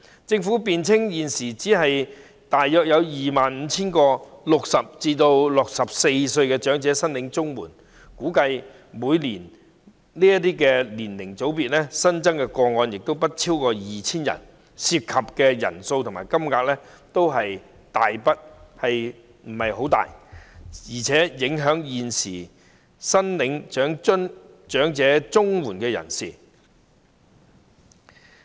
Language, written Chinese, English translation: Cantonese, 政府辯稱，現時只有大約 25,000 名60至64歲人士領取長者綜援，每年此年齡組別的新增個案估計亦不超過 2,000 宗，涉及的人數和金額都不是很大，更何況現時已領取長者綜援的人士不受影響。, The Government argues that at present only about 25 000 people aged between 60 and 64 are receiving elderly CSSA . It is estimated that the annual number of new cases in this age group will not exceed 2 000 . The number of people and the amount of money involved are not large not to mention that the existing recipients of elderly CSSA will not be affected